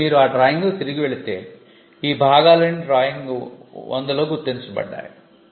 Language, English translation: Telugu, Now, if you go back to the drawing, all these parts were marked in the drawing 100, the correction mark and 100